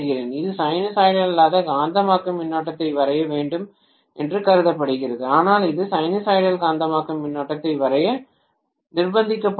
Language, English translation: Tamil, It is supposed to draw a non sinusoidal magnetizing current, but it is forced to draw sinusoidal magnetizing current